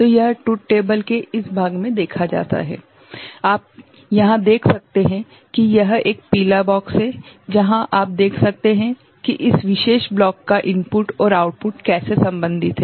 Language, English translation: Hindi, So, that is seen in this part of the truth table, that you can see where this yellow box is the one, yellow box one is the one, where you can see how the input and output of this particular block is related ok